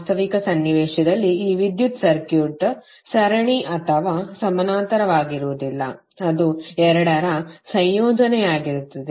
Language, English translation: Kannada, But actually in real scenario this electrical circuit will not be series or parallel, it will be combination of both